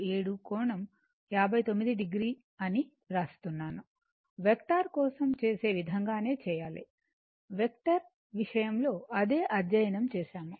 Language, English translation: Telugu, 47 , angle 59 , you have to do it the way you do they are your call for vector, vector you have studied same thing right